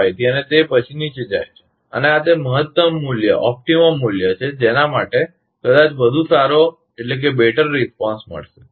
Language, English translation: Gujarati, 25 and after that is going down and this is the optimum value for which, perhaps will get the better response